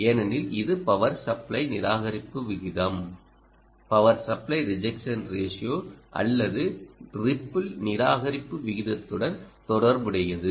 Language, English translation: Tamil, look out for this important parameter because it is linked to the power supply rejection ratio, or ripple rejection ratio as well, ah